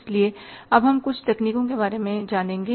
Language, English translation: Hindi, So, now we will be talking about some other techniques